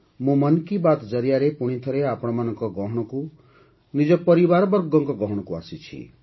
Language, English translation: Odia, And today, with ‘Mann Ki Baat’, I am again present amongst you